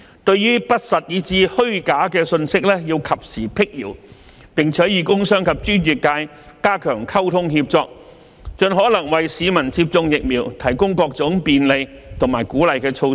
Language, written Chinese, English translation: Cantonese, 對於不實以至虛假的信息要及時闢謠，並與工商及專業界加強溝通協作，盡可能為市民接種疫苗提供各種便利和鼓勵的措施。, In case there is any untrue or false information it should quash them quickly . Also it should strengthen its communication and collaboration with the business and professional sectors to provide as many facilitations and incentives as possible to encourage vaccination